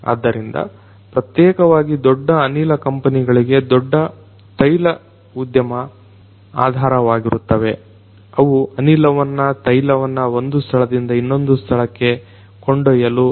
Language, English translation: Kannada, So, particularly the big oil industry is the back big gas companies, they deploy these gas pipes for carrying the gas for carrying oil from one point to another